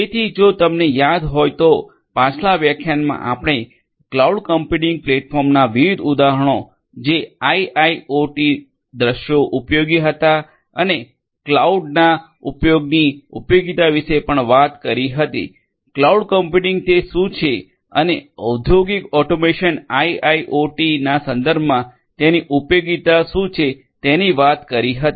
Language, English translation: Gujarati, So, if you recall that in the previous lecture we talked about the different examples of cloud computing platforms for use in IIoT scenarios and also the usefulness of the use of cloud; cloud computing what it is and what is its usefulness in the context of industrial automation IIoT and so on